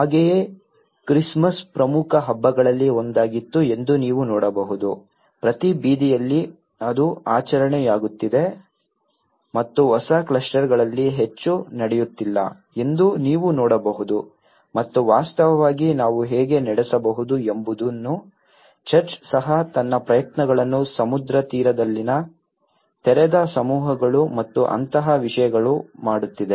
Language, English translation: Kannada, Like, you can see the Christmas was one of the important festival live in every street it is becoming a celebration and in the new clusters you can see that not much is happening and in fact, the church is also making its efforts how we can conduct the open masses in the sea shore and things like that